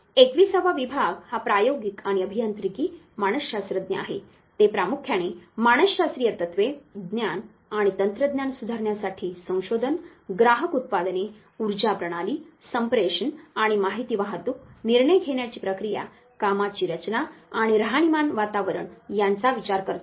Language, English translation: Marathi, The 21st division is the applied experimental and engineering psychologist they primarily look at the psychological principles knowledge and research to improve technology consumer products energy systems communications and information transportation the decision making process work setting and living environment